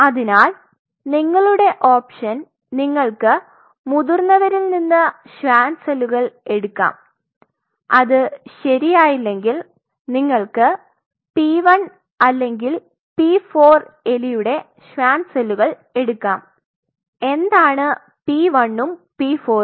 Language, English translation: Malayalam, So, your option is that you get a Schwann from adult which, but it does not work what you can do for Schwann cells you can take a p 1 or p 4 rat what is p 1 and p 4